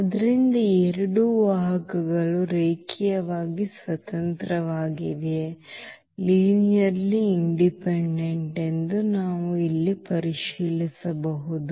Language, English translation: Kannada, So we can check here also that these 2 vectors are linearly independent